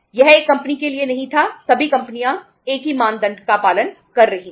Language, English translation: Hindi, It was not for 1 company, all the companies were following the same norm